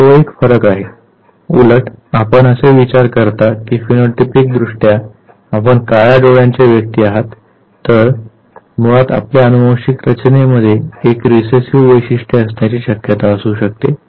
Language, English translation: Marathi, Now that is a variation, overtly you think that phenotypically you are black eyed person, whereas there could be possibility that the genetic makeup that you have basically has a recessive character